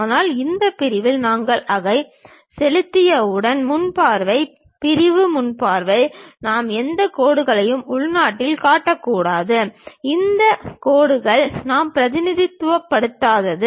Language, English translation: Tamil, But on this section once we implement that; the front view, sectional front view we should not show any dashed lines internally, these dashed lines we do not represent